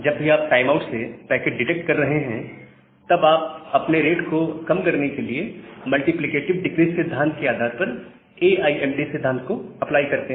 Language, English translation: Hindi, And whenever you are detecting a packet loss from a timeout, then you apply AIMD principle to reduce your rate based on the multiplicative decrease principle